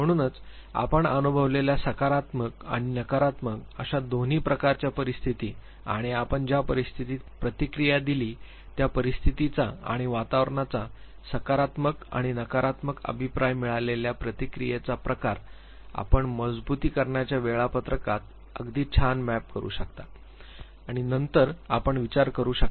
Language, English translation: Marathi, So, both positive and negative type of scenarios that you experienced and the situations wherein you responded and the type of response that you got positive and negative feedback from the environment you can map it very nicely to the schedule of reinforcement and then you can think that